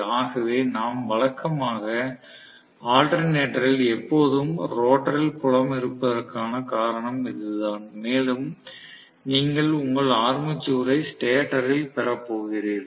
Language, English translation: Tamil, So that is the reason why we normally have in the alternator always the field sitting in the rotor and you are going to have actually your armature sitting in the stator